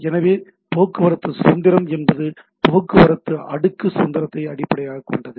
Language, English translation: Tamil, So and it is transport independence, transport independence means underlying transport layer independence